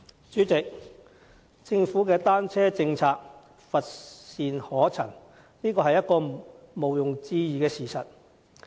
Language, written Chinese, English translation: Cantonese, 主席，政府的單車政策乏善可陳，這是毋庸置疑的事實。, President it is indisputable that the Government offers little to write home about in terms of its policy on bicycles